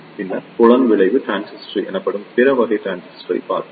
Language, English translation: Tamil, Then, we saw the other type of transistor that is known as the Field Effect Transistor